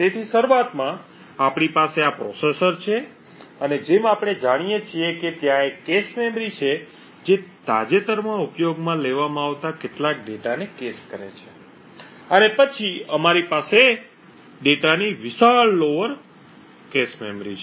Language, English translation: Gujarati, So initially we have this processor and as we know that there is a cache memory which caches some of the recently used data and then we have the large lower cache memory of the data